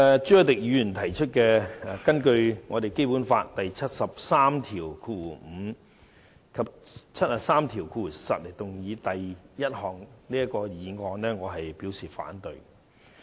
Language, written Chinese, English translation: Cantonese, 朱凱廸議員根據《基本法》第七十三條第五項及第七十三條第十項動議的第一項議案，我表示反對。, I oppose the first motion moved by Mr CHU Hoi - dick under Articles 735 and 7310 of the Basic Law . The reason for my opposition is very simple